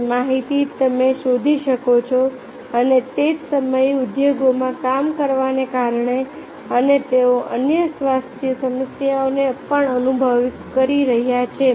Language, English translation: Gujarati, that information you can find out and it the same time because of working in industry and they are also experiencing the other health problems